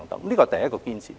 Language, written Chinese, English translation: Cantonese, 這是第一個堅持。, This is the first proposal